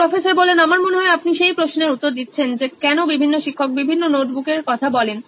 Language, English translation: Bengali, I think that there you are answering the question why are different subject notebooks being asked by different teachers